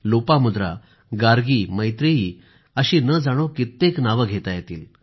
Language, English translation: Marathi, Lopamudra, Gargi, Maitreyee…it's a long list of names